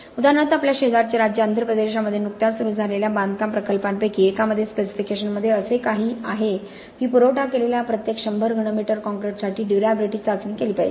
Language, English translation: Marathi, For example in one of the construction projects that has recently started in our neighbouring state of Andhra Pradesh, there is something in the specification which says that the durability test should be carried out for every 100 cubic meters of concrete supplied